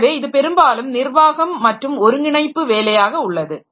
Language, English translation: Tamil, So, this is more of a administrative job and it is a coordination job